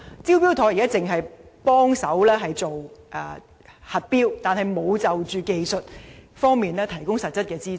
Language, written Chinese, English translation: Cantonese, "招標妥"現時只在核標方面提供協助，卻沒有在技術方面提供實質協助。, Currently the Smart Tender scheme merely provides assistance in tender assessment without offering substantive technical assistance